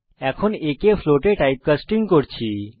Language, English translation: Bengali, Here we are typecasting a to float